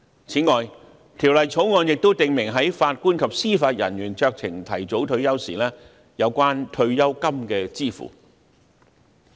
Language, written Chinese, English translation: Cantonese, 此外，《條例草案》亦訂明法官及司法人員在酌情提早退休時有關退休金的支付事宜。, In addition the Bill also provides for the payment of pension in the case of discretionary early retirement of JJOs